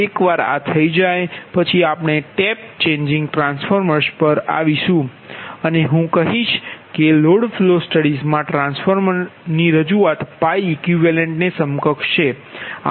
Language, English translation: Gujarati, next we will come to that, your what you call the tap changing transformers and rather i will say that transformer representation, transformer representation in the load flow studies, that is the pi equivalent, right